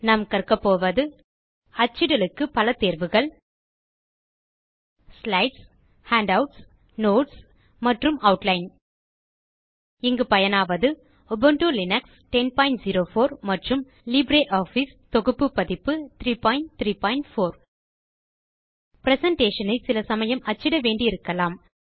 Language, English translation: Tamil, In this tutorial we will learn about the various options for printing Slides Handouts Notes and Outline Here we are using Ubuntu Linux 10.04 and LibreOffice Suite version 3.3.4